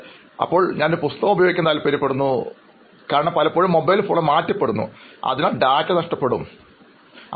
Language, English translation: Malayalam, But nowadays I prefer using it because I change my mobile so often, so I think that sometimes data gets lost and all